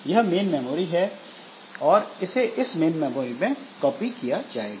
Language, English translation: Hindi, So, it has to be copied into main memory